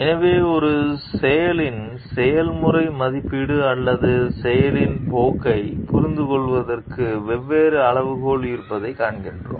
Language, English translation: Tamil, So, what we find like there are different criteria for understanding the ethical evaluation of an act or a course of action